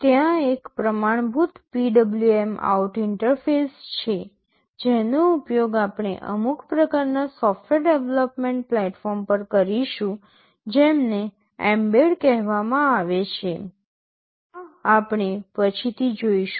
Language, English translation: Gujarati, There is a standard PWMOut interface that we shall be using in some kind of software development platform called mbed, this we shall be seeing later